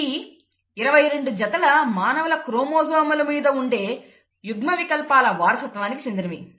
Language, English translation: Telugu, It is for the inheritance of alleles that reside on the 22 pairs of human chromosomes